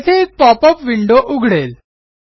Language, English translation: Marathi, Close the pop up window